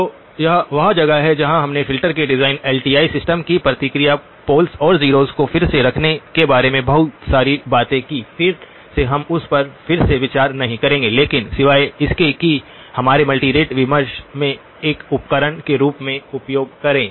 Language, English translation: Hindi, So this is where we talked a lot about the design of filters, the response of LTI systems, where to put the poles and zeros, again we will not be revisiting that but except to use that as a tool in our multirate discussions